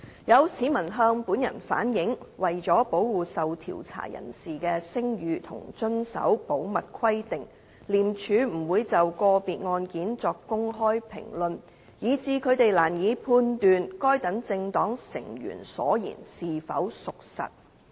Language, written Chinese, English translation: Cantonese, 有市民向本人反映，為了保護受調查人士的聲譽和遵守保密規定，廉署不會就個別案件作公開評論，以致他們難以判斷該等政黨成員所言是否屬實。, Some members of the public have relayed to me that in order to protect the reputation of those under investigation and in compliance with the confidentiality requirements ICAC will not openly comment on individual cases making it difficult for them to judge whether the remarks made by such political party members are true or not